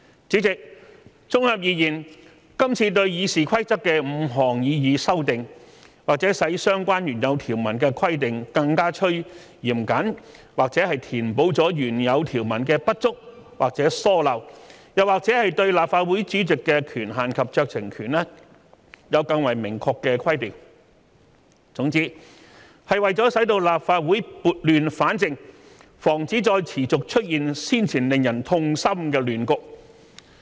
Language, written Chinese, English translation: Cantonese, 主席，綜合而言，今次對《議事規則》的5項擬議修訂，或者使相關原有條文的規定更趨嚴謹，或者填補了原有條文的不足或疏漏，或者對立法會主席的權限及酌情權有更為明確的規定，總之，是為了使立法會撥亂反正，防止再持續出現先前令人痛心的亂局。, President in sum these five proposed amendments to RoP may render the regulation of the original provisions concerned stricter make up for the deficiencies or omissions in the original provisions or provide more explicitly the powers and discretion of the President . In conclusion they aim to put this Council on the right track and prevent the recurrence of past distressing chaos